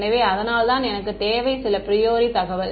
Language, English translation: Tamil, So, that is why I need some a priori information